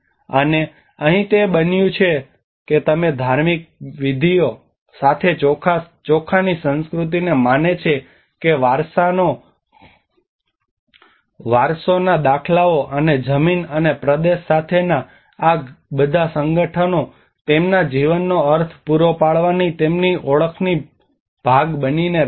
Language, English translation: Gujarati, And here it becomes you know the rice culture with all the rituals believes the inheritance patterns and all these associations with the land and territory continue to be part of their identity providing means in their lives